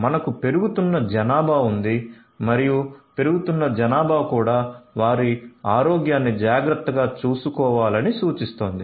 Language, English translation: Telugu, We have a growing population and growing population also will invite you know taken care of their health